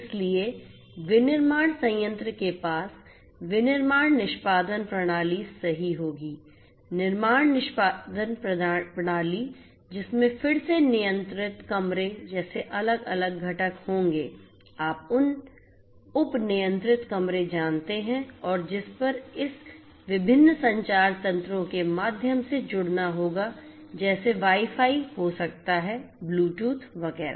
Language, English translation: Hindi, So, the manufacturing plant will have the manufacturing execution system right, manufacturing execution system which will again have different different components like controlled rooms, you know sub controlled rooms and so on which will also have to be connected through this different communication mechanisms like may be Wi Fi, Bluetooth, etcetera